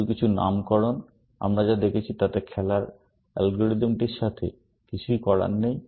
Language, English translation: Bengali, Just some nomenclature; nothing to do with the game playing algorithm that we have been looking at